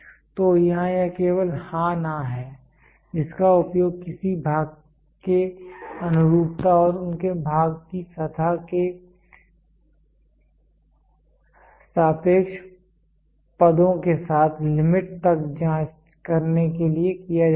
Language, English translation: Hindi, So, here it is only yes no which are used to check the conformance of a part along with their form and the relative positions of the surface of a part to the limit